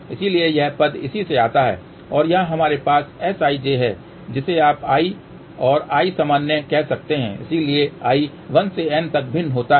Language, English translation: Hindi, So, that is what this term comes from and here what we have S ij you can say i and i common, so i will vary from 1 to N